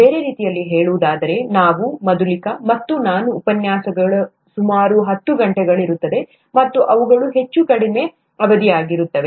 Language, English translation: Kannada, In other words, the lectures by us, Madhulika and I, would be about ten hours long, and they would be of much shorter duration